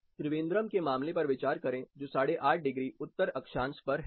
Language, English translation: Hindi, Consider the case of Trivandrum which is 8 and half degrees north latitude